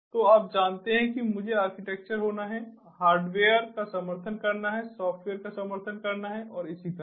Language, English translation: Hindi, i has to be architected, the hardware have to support, the software have to support and so on